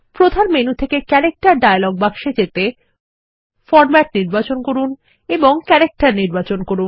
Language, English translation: Bengali, To access the Character dialog box from the Main menu, select Format and select Character